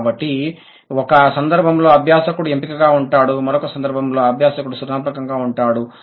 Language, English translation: Telugu, So, in one case the learner is selective, the other case the learner is creative